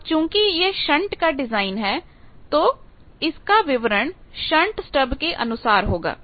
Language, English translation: Hindi, So, since it is shunt design the specification is shunt stub